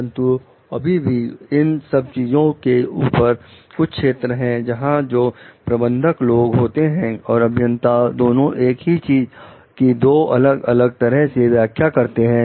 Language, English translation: Hindi, But still, above those things also there could be certain areas, where people the manager and the engineer maybe interpreting the same thing in two different ways